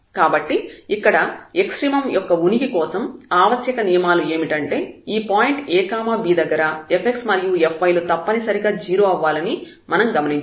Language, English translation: Telugu, So, we can conclude that the necessary conditions so here the necessary conditions for the existence of an extremum at this point a b is that f x should be 0 and also the f y should be 0